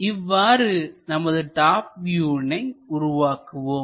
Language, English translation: Tamil, This is the way we construct top view